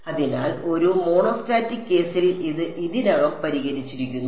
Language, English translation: Malayalam, So, in a monostatic case it is already fixed